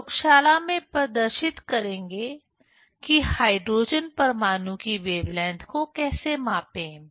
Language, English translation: Hindi, We will demonstrate in laboratory how to measure the wavelength of hydrogen atom